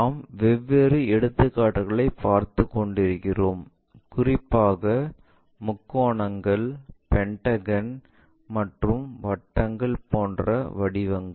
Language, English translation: Tamil, And we are looking at different problems especially, the shapes like triangle, pentagon, circle this kind of things